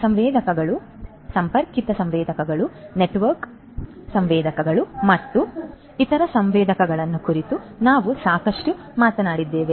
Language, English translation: Kannada, We have talked about a lot about sensors, connected sensors, networked sensors, sensor networks